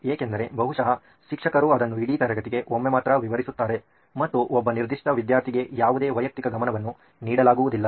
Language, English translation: Kannada, Because probably the teacher would only explain it once for the entire class and no individual attention is given for one particular student